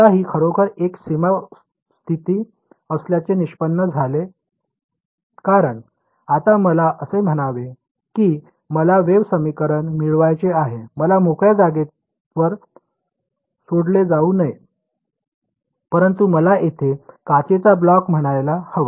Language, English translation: Marathi, Now this actually turns out to be a boundary condition because let us say that I have I want to get a wave equation the solution to the wave equation now not in free space, but I have a let us say a block of glass over here